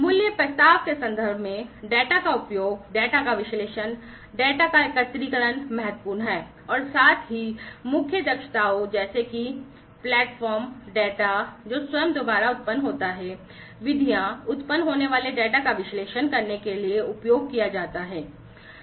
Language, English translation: Hindi, In terms of the value proposition, the utilization of the data, the analysis of the data, the aggregation of the data, these are important and also the core competencies such as the platforms, the data that is generated by itself, the methods, that are used to analyze the data that is generated